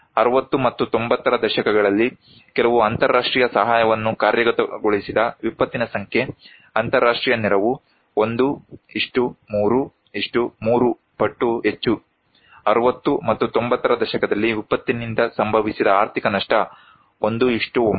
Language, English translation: Kannada, Number of disaster for which some international aid is executed, in 60s and 90s, international aid 1 : 3; 3 times more, economic losses due to disaster in 60’s and 90’s; 1:9